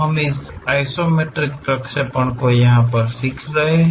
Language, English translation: Hindi, We are learning Isometric Projections